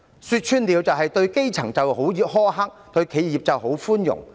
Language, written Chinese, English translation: Cantonese, 說穿了，就是對基層苛刻，對企業寬容。, The bare truth is the Government is harsh to the grass roots and lenient to enterprises